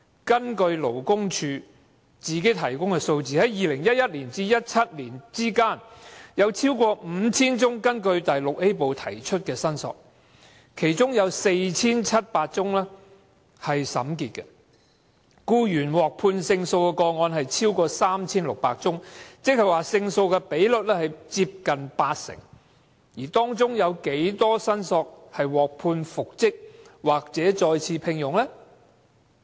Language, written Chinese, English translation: Cantonese, 根據勞工處提供的數字，在2011年至2017年期間，有 5,000 多宗根據第 VIA 部提出的申索，其中有 4,700 宗審結，僱員獲判勝訴的個案有 3,600 多宗，勝訴的比率接近八成，而當中有多少提出申索的僱員獲判復職或再次聘用？, According to the statistics provided by the Labour Department over 5 000 claims were made by employees under Part VIA between 2011 and 2017 . Among them 4 700 of the cases were concluded and over 3 600 cases were ruled in favour of the employees . How many employees in those cases were eventually reinstated or re - engaged?